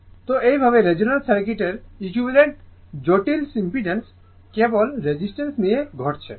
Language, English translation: Bengali, So, so, thus at resonance the equivalent complex impedance of the circuit consists of only resistance right